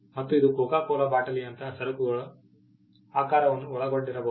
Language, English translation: Kannada, It can include shape of goods like the Coca Cola bottle